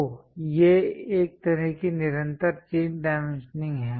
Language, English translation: Hindi, So, these are parallel these are a kind of continuous chain dimensioning